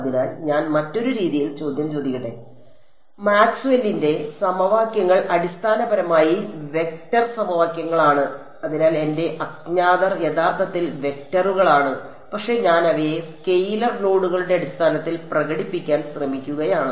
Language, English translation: Malayalam, So, let me sort of posses question in another way, Maxwell’s equations are essentially vector equations right and so, my unknowns are actually vectors, but I am trying to express them in terms of scalar nodes